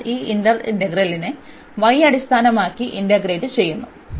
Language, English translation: Malayalam, So, we will integrate this the inner one with respect to y